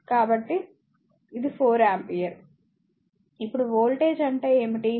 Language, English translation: Telugu, So, this is your 4 ampere, now what is the voltage